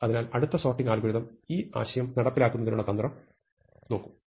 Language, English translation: Malayalam, So, our next sorting algorithm will look at a strategy to implement this idea